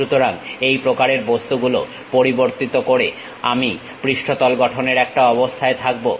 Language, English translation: Bengali, So, varying these kind of objects I will be in a position to construct a surface